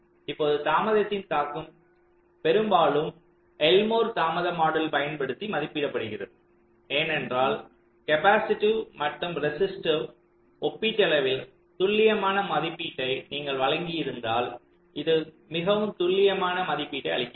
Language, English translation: Tamil, now the delay impact is often estimated using the elmore delay model because it gives a quite accurate estimate, provided you have made a relatively accurate estimate of the capacity, when the resistive i mean effects of the neiburehood, the other lines